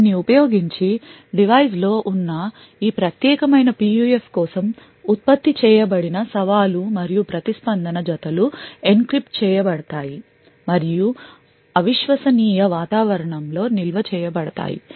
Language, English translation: Telugu, Using this, the challenge and response pairs which is generated for this particular PUF present in the device is encrypted and stored in an un trusted environment